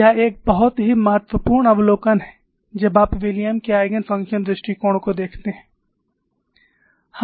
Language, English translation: Hindi, This is a very important observation when you look at the Williams Eigen function approach